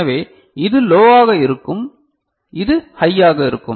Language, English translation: Tamil, So, this one will be high and this one will be low right